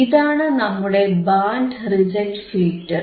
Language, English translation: Malayalam, What are the kinds of band reject filters